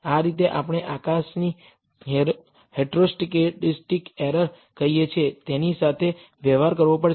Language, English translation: Gujarati, That is the way we have to deal with what we call heteroscedastic errors of the sky